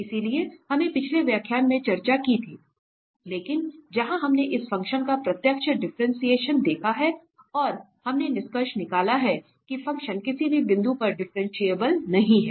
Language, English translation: Hindi, So, this we had discussed in the previous lecture, but where we have seen the direct differentiation of this function and we concluded that the function is not differentiable at any point